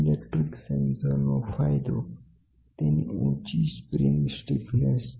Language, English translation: Gujarati, The piezoelectric sensors have the advantage of high spring stiffness